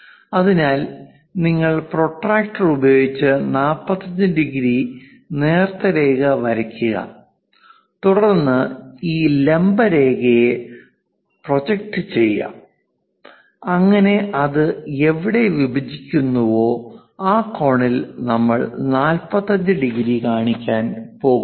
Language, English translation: Malayalam, So, you draw a 45 degrees using protractor as a thin line, then project this vertical line so, wherever it intersects, that angle we are going to show as 45 degrees